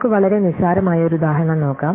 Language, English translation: Malayalam, So, let us look at a very trivial example